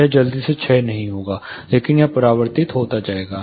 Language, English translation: Hindi, This will not easily decay down, but it will be getting reflected and re reflected